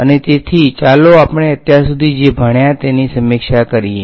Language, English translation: Gujarati, And so, let us just review what we have done so far